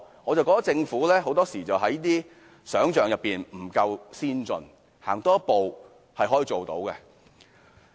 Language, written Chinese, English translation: Cantonese, 我覺得政府很多時候是缺乏想象力，多走一步是可以做到的。, I think the Government very often lacks imagination . Things can be done if the Government is willing to take one step further